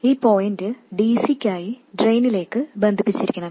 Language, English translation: Malayalam, This point should get connected to the drain for DC